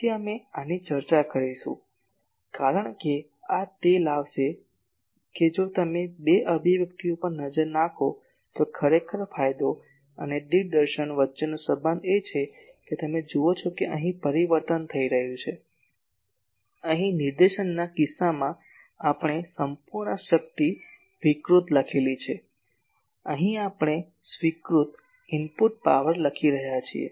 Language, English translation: Gujarati, So, we will discuss these because this is actually will bring that if you look at the two expressions , that actually the relation between gain and directivity is that you see that change is taking place here in case of directivity here we have written total power radiated , here we are writing input power accepted